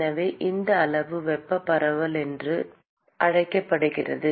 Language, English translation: Tamil, so this quantity is called thermal diffusivity